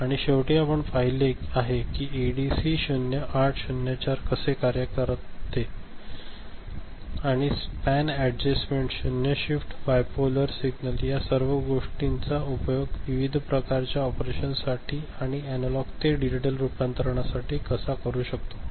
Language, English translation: Marathi, And finally, we have seen how ADC 0804 is you know works, and how we can use it for different kind of operation by using span adjustment, zero shift, even for bipolar signal, analog to digital conversion ok, so all these things we have seen, ok